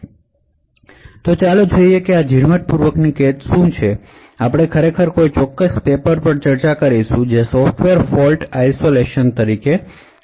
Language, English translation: Gujarati, So, let us see what a Fine grained confinement is, so we will be actually discussing a particular paper known as Software Fault Isolation